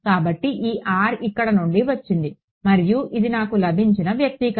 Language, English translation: Telugu, So, this R came out from here and this is the expression that I got